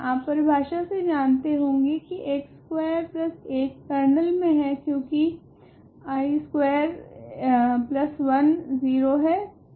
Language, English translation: Hindi, Certainly you know that by definition of I x square plus 1 is in the kernel write this is because I square plus 1 is 0